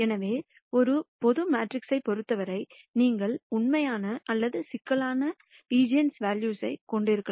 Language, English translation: Tamil, So, for a general matrix, you could have eigenvalues which are either real or complex